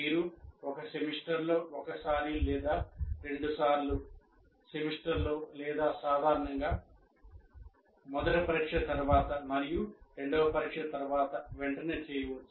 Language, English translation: Telugu, You can do it once in a semester or twice in a semester or generally immediately after the first test and immediately after the second test